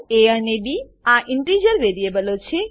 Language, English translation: Gujarati, a and b are the integer variables